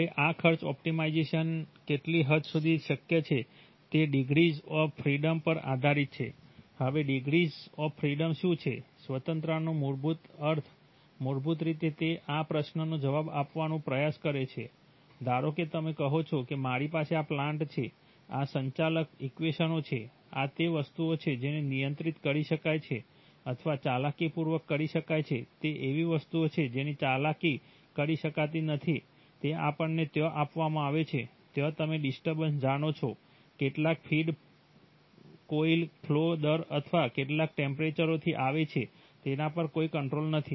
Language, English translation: Gujarati, Now this cost optimization, to, to what extent it is possible, that depends on the degrees of freedom, now what is the degrees of freedom, degree the freedom basically means, basically it tries to answer this question, that suppose you say that okay, I have these as, this is the plant, these are the governing equations, these are the things which are, which can be controlled or the manipulated, those are the things which cannot be manipulated, they are given to us there you know disturbance, some feed coming from at some flow rate or some temperature, no control on that